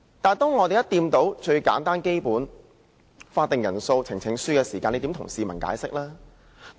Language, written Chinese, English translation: Cantonese, 但一旦觸及最簡單和最基本關乎法定人數和呈請書的規定，又如何向市民解釋呢？, But how can they explain to the public should the simplest and most fundamental provisions on the quorum and petitions be involved?